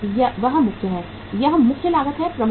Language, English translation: Hindi, That is the main, this is the main cost, major cost